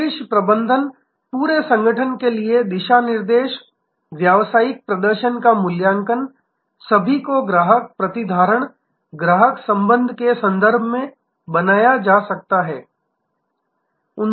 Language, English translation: Hindi, The top management, the guideline to the entire organization, assessment of business performance, all must be made in terms of customer retention, customer relation